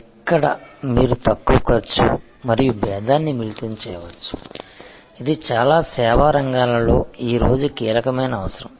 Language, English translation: Telugu, Where, you can combine low cost and differentiation, this is a key requirement today in many service areas